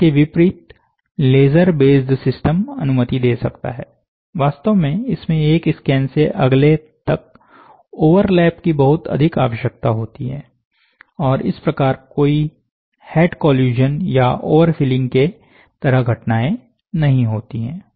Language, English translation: Hindi, In contrast, laser base system can permit, and in fact generally require, a significant amount of overlap, from one scan to the next, and thus, there are no head collusion or overfilling equivalent phenomena